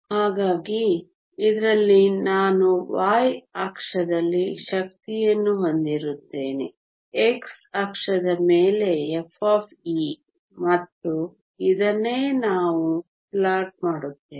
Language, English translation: Kannada, So in this I will have energy on the y axis, f of e on the x axis and this is what we will be plotting